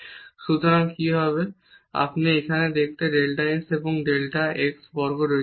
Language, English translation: Bengali, So, what will happen you have delta x there and delta x square here